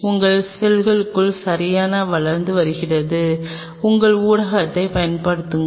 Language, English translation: Tamil, And inside your cells are growing right and your use your media